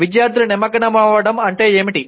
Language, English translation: Telugu, What is student engagement